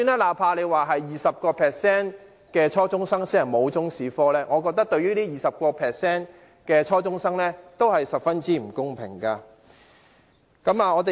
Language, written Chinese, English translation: Cantonese, 哪怕是只有 20% 初中生沒有修讀中史科，我覺得對這 20% 的初中生而言，也是十分不公平。, Although only 20 % of junior secondary students do not have Chinese History lesson I think they are still quite unfairly treated